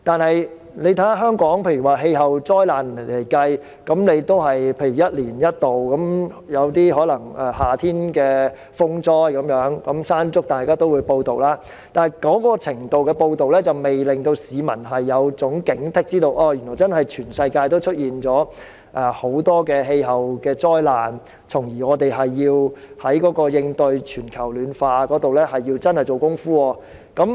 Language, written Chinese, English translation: Cantonese, 然而，以香港的氣候災難而言，也只是一年一度才出現，例如夏天會出現颱風"山竹"等風災，屆時大家也會報道，但這種程度的報道並未能令市民有所警惕，知道全球也出現很多氣候災難，從而在應對全球暖化上真正下工夫。, For instance during summer we will have typhoons like Mangkhut . By then there will be reports about these issues . Yet reports of this kind may not heighten the alertness of the public and remind them of the many climate disasters happening worldwide so that they will make a determined effort in addressing the problem of global warming